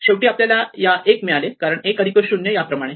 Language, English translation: Marathi, Finally, we got one here because this is 1 plus 0